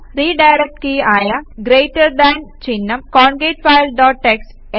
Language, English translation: Malayalam, Hit on the redirect key which is the Greater than symbol concatfile dot txt